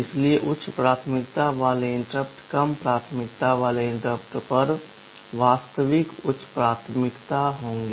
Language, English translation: Hindi, So, higher priority interrupt will be having real higher priority over the lower priority ones